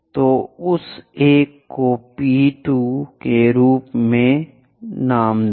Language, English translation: Hindi, So, call that one as P 2